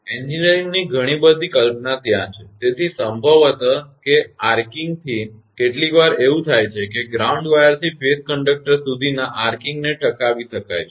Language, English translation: Gujarati, So lot of engineering concept are there in there; so, it is possibly that the arcing from the; sometimes what happen that arcing from the ground wire to the phase conductor may be sustained